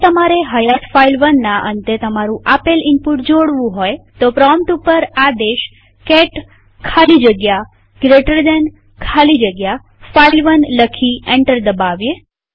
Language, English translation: Gujarati, Now if you wish to append to the end of an existing file file1 type at the prompt cat space double right angle bracket space file1 and press enter